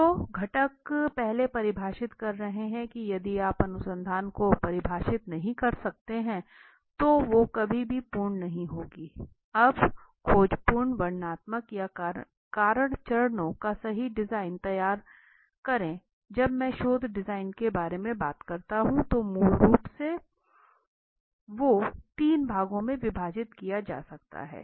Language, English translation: Hindi, So the components are first defining we have started in the class if you cannot define your research will never be complete right design the exploratory descriptive or causal phases now when I talk about research design basically can be divided I to three parts let us say right